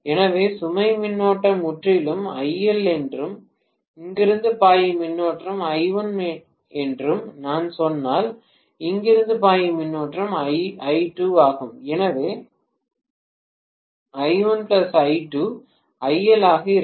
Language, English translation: Tamil, So, if I say that the load current totally is IL and what is the current flowing from here is I1, the current that is flowing from here is I2, so I1 plus I2 will be IL